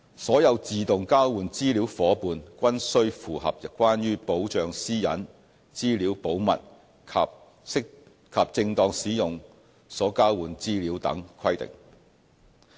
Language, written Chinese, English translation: Cantonese, 所有自動交換資料夥伴均須符合關於保障私隱、資料保密及正當使用所交換資料等規定。, All AEOI partners must comply with the requirements on privacy protection confidentiality of information and proper use of information exchanged and so on